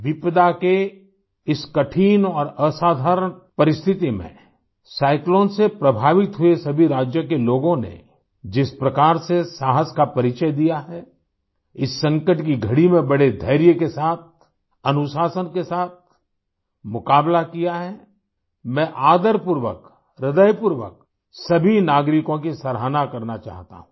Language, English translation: Hindi, Under these trying and extraordinary calamitous circumstances, people of all these cyclone affected States have displayed courage…they've faced this moment of crisis with immense patience and discipline